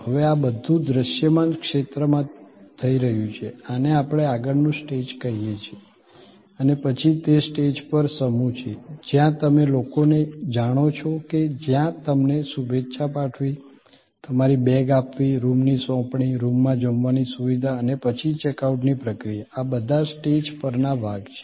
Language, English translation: Gujarati, Now, all these are happening in the visible domain, this is what we call the front stage and then that is set of on stage, where you know people where greeting you, taking your bags, your delivery of the bags, delivery of the room service or what we call these days, in room dining, food in a room or the process of check out, these are all part of the on stage